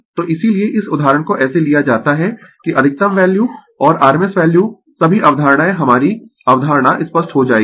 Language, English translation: Hindi, So, that is why this example is taken such that maximum value and rms value all the concept our concept will be clear